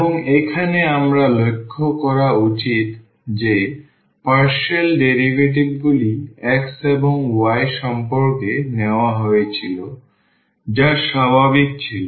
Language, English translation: Bengali, And, here we should note there the partial derivatives were taken with respect to x and y which was natural